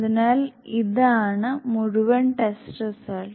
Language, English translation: Malayalam, So this is the entire test result